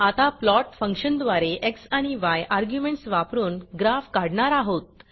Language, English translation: Marathi, We will now plot a graph with the arguments x and y using the Plot function